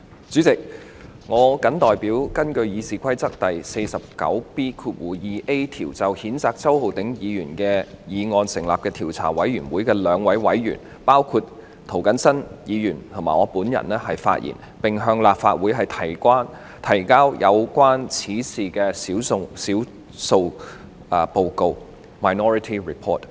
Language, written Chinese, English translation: Cantonese, 主席，我謹代表根據《議事規則》第 49B 條就譴責周浩鼎議員的議案成立的調查委員會的兩位委員，包括涂謹申議員及我本人發言，並向立法會提交有關此事的少數報告。, President I speak on behalf of two members of the Investigation Committee established under Rule 49B2A of the Rules of Procedure in respect of the motion to censure Hon Holden CHOW Ho - ding namely Mr James TO and I myself and present to the Council the Minority Report on the investigation